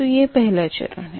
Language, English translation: Hindi, this is the first step